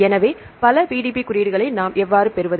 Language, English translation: Tamil, So, many PDB codes